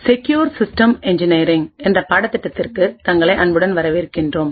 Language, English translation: Tamil, Hello and welcome to this lecture in the course for Secure Systems Engineering